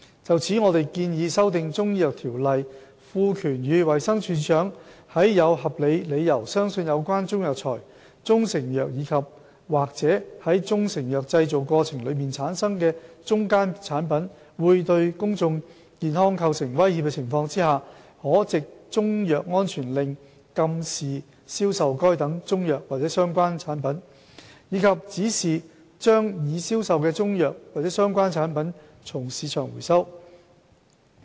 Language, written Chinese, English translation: Cantonese, 就此，我們建議修訂《條例》，賦權予衞生署署長在有合理理由相信有關中藥材、中成藥及/或在中成藥製造過程中產生的中間產品會對公眾健康構成威脅的情況下，可藉中藥安全令禁止銷售該等中藥或相關產品，以及指示把已銷售的中藥或相關產品從市場回收。, To this effect we propose to amend the Ordinance so that under the circumstance where the Director has reasonable cause to believe that the Chinese herbal medicine proprietary Chinese medicine andor intermediate product generated in the course of manufacturing a proprietary Chinese medicine may pose threats to public health the Director is empowered to by way of a Chinese medicine safety order prohibit the sale of the Chinese medicine or related product and direct the recall of the Chinese medicine or related product that has been sold from the market